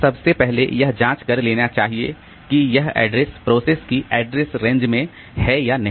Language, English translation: Hindi, So, first thing that has to be checked is whether the address belongs to the address range of the process